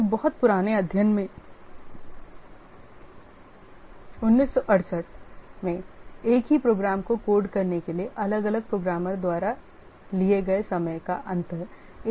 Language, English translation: Hindi, In a very old study, 1968, the difference in time taken by different programmers to code the same program is 1 is to 25